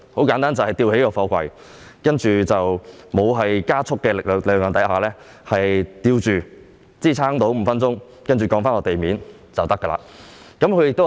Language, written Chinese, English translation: Cantonese, 簡單而言是把貨櫃吊起，在沒有加速的情況下舉吊，支撐5分鐘後降低至地面便可以。, Simply put a container shall be lifted in such a way that no acceleration forces are applied after which it shall be supported for five minutes and then lowered to the ground